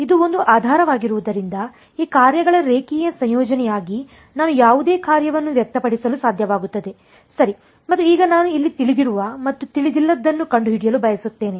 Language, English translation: Kannada, Since it is a basis I should be able to express any function as a linear combination of these basis right and now I want to find out what is known and what is unknown here